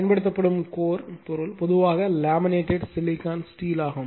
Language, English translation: Tamil, The core material used is usually your laminated silicon steel